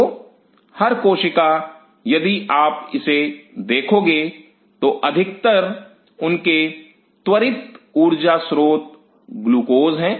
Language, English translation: Hindi, So, every cell, if you look at it mostly they are readily source energy source is glucose